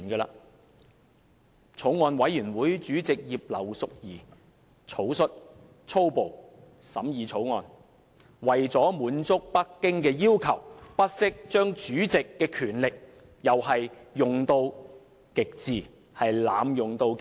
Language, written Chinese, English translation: Cantonese, 法案委員會主席葉劉淑儀議員草率、粗暴地審議《條例草案》，而為了滿足北京的要求，更不惜把主席的權力用到極致，濫用到極致。, Chairman of the Bills Committee Mrs Regina IP was downright haphazard and high - handed in the scrutiny of the Bill . In order to satisfy Beijings demand she never hesitated to use or even abuse to the fullest extent all the powers she had as the chairman